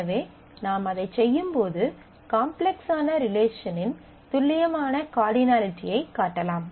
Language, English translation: Tamil, So, when we do that we have the precise cardinality of the complex relations that exist